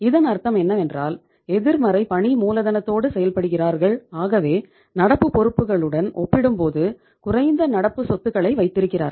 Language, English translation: Tamil, So it means when they are running the show with the negative working capital so they are keeping lesser current assets as compared to lesser uh say as compared to their current liabilities